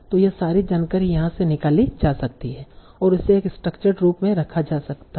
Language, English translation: Hindi, So all this information can be extraded from here and put in a very structured form